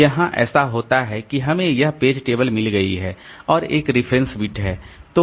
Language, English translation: Hindi, So, here what happens is that we have got this page table and there is a reference bit